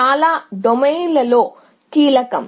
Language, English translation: Telugu, That is critical in many domains